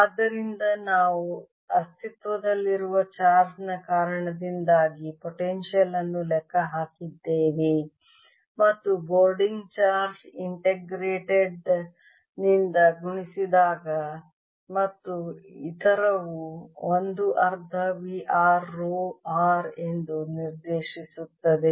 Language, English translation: Kannada, and therefore we did calculator the potential due to the existing charge and multiply by the floating charge integrated and the other directs expression, which is one half v r o r